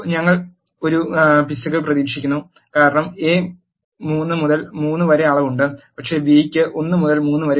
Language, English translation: Malayalam, We expect an error because A is having the dimension 3 by 3, but B is having 1 by 3